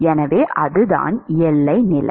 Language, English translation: Tamil, So, that is the boundary condition